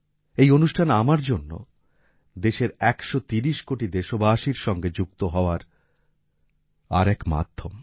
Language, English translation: Bengali, This programmme is another medium for me to connect with a 130 crore countrymen